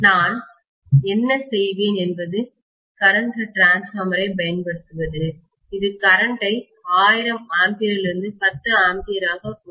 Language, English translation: Tamil, What I will do is to use a current transformer which will step down the current from 1000 ampere to 10 ampere